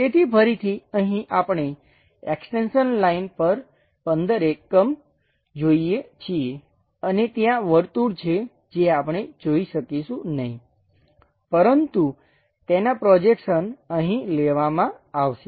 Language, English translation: Gujarati, So, again, here we see 15 extension lines plus and there is a circle which we may not be in a position to sense, but that will be having a projection here